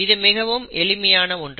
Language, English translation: Tamil, This is, it is as simple as that